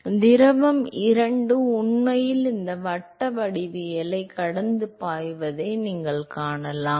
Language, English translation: Tamil, So, therefore, you can see the fluid two is actually flowing past these circular geometry